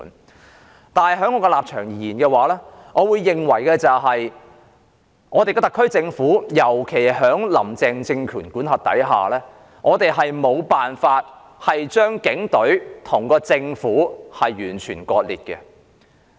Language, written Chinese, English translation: Cantonese, 我的立場是，我認為香港特區政府，尤其在"林鄭"政權管轄下，我們沒有辦法將警隊跟政府完全割裂。, My stance is that the Hong Kong SAR Government particularly under the regime of Carrie LAM cannot completely sever itself from the Police Force